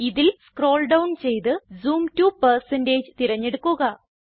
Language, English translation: Malayalam, Scroll down the list and select Zoom to%